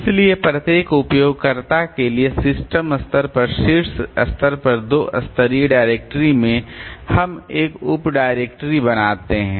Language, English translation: Hindi, So, in a two level directory maybe at the top level at the system level for each user we create a sub director